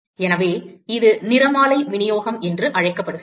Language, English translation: Tamil, So, this is called the spectral distribution